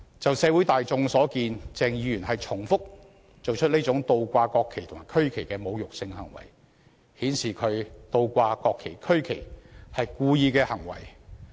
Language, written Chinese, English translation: Cantonese, 按社會大眾所見，鄭議員重複做出這種倒掛國旗和區旗的侮辱性行為，顯示他倒掛國旗和區旗是故意的行為。, As seen by the general public the insulting acts of inverting the national flags and the regional flags repeatedly done by Dr CHENG have shown that his inverting the national and regional flags is deliberate